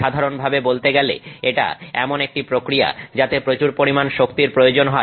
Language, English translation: Bengali, Generally speaking, this is a process that is going to require a lot of energy